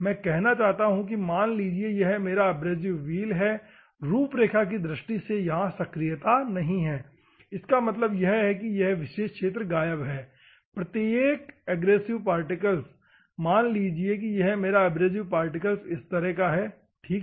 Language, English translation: Hindi, There is no active region of abrasive particle I mean to say assume that this is my abrasive wheel, schematically this activeness is not there; that means, that this particular portion is missing, every abrasive particle, assume, that this is like this my abrasive particle is like this, ok